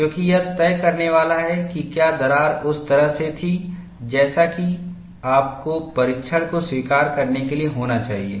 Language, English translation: Hindi, Because, that is going to decide whether the crack was in the way it should be, for you to accept the test